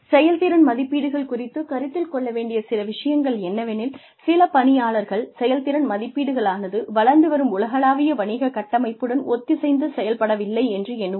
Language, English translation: Tamil, Some concerns, regarding performance appraisals are that, some employees feel that, performance appraisals are not synchronized, with the developing structure of global businesses